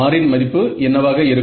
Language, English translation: Tamil, So, what will that value of R be